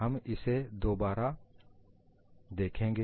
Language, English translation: Hindi, We will look that again